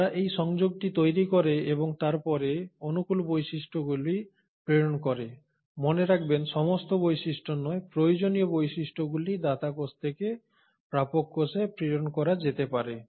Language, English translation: Bengali, And they form this connection and then the favourable features are passed on, mind you, not all the features, the required features can be passed on from the donor cell to the recipient cell